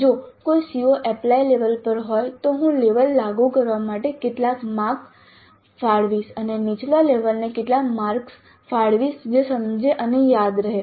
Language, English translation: Gujarati, If a C O is at apply level, how many marks do allocate to apply level and how many marks do allocate to the lower levels which is understand and remember